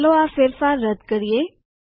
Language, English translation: Gujarati, Let us undo this change